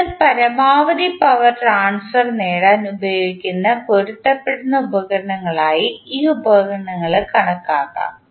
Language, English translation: Malayalam, So, these devices can also be regarded as matching devices used to attain maximum power transfer